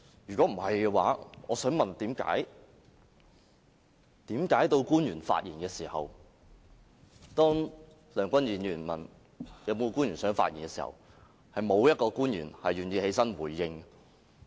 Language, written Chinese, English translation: Cantonese, 如果不是，我想問為何到官員發言時，當梁君彥議員問是否有官員想發言時，是沒有官員願意起來回應的？, If they are not really frivolous and senseless then why did government officials refuse to speak when Mr Andrew LEUNG asked whether any government officials wished to reply?